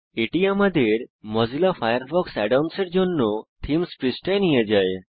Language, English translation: Bengali, This takes us to the Themes page for Mozilla Firefox Add ons